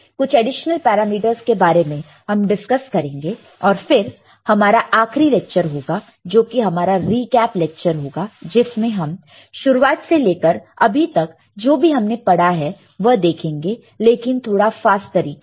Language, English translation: Hindi, Few other additional parameters we will discuss and then we will have a last lecture, which will our recall lecture which will consist of whatever we have done from class one till now, but in a little bit faster mode